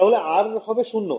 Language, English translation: Bengali, So, then R was zero